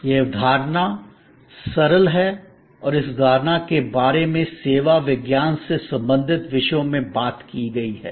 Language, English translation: Hindi, This concept is simple and this concept has been talked about from the disciplines related to service science